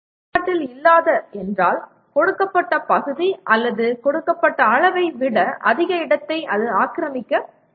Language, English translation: Tamil, Non functional means it should not occupy more space than you do, than given area or given volume